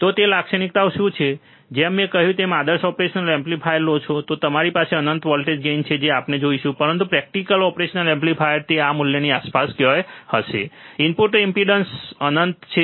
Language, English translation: Gujarati, So, what are those characteristics like I said if you take a ideal operational amplifier, then you have infinite of voltage gain we will see, but practical operation amplifier it would be somewhere around this value, in input impedance is infinite